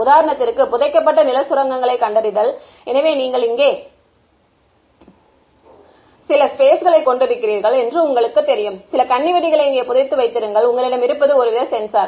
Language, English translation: Tamil, For example, buried land mine detection; so, let us say you know you have some ground over here, you have some landmine buried over here and what you have is some kind of a sensor